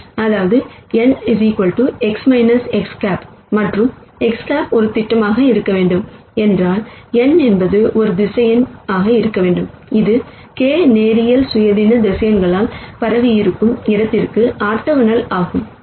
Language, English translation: Tamil, That means, n equal to X minus X hat and if X hat has to be a projec tion, then n has to be a vector that is orthogonal to the space spanned by the k linearly independent vectors